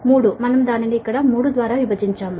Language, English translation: Telugu, we have divided it by three